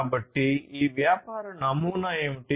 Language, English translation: Telugu, So, what is this business model